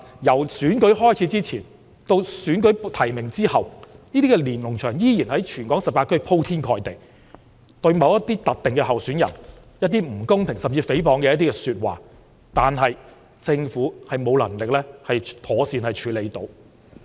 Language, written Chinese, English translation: Cantonese, 由選舉開始前，及至選舉提名後，這些連儂牆在全港18區鋪天蓋地，對某些特定的候選人發表不公平，甚至誹謗的言論，政府已沒有能力妥善處理。, Since the commencement of the election and after the nomination of candidates Lennon Walls in all 18 districts in Hong Kong have expressed unfair and even slanderous comments targeting certain candidates yet the Government is incapable of handling the situation properly